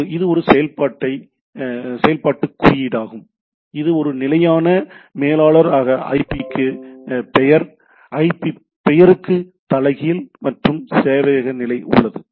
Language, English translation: Tamil, So, that is the operational code it is a standard manager is name to IP, IP to name is inverse and then service status